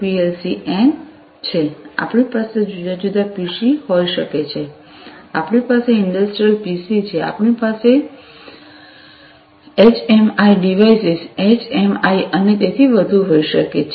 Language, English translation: Gujarati, PLC n, we could have different PCs industrial PCs we could have HMI devices, HMI and so on